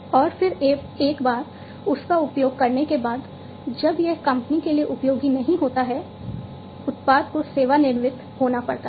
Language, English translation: Hindi, And then once it is used, once it is no longer useful to the company, the product has to be retired